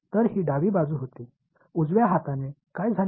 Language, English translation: Marathi, So, this was the left hand side right; what happened with the right hand side